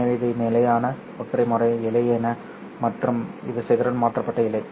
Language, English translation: Tamil, So this is a standard single mode fiber and this is dispersion shifted fiber